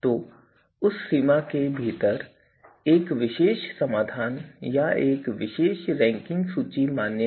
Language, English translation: Hindi, So, within that range a particular solution a particular ranking list is valid